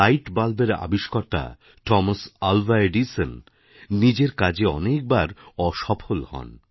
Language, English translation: Bengali, Thomas Alva Edison, the inventor of the light bulb, failed many a time in his experiments